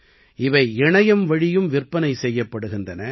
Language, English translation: Tamil, They are also being sold online